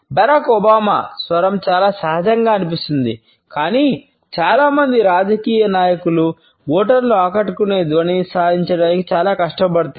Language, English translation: Telugu, Barack Obama’s voice seems very natural, but most politicians work very hard to achieve a sound that impresses the voters